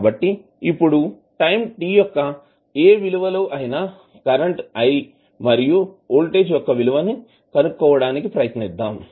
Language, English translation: Telugu, So, now let us try to find out the value of current i at any time t and value of voltage at any time t